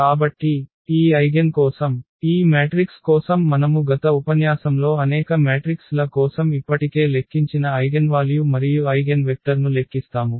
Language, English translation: Telugu, So, for this eigen, for this matrix we will compute the eigenvalue and eigenvectors we have already computed for several matrices in the last lecture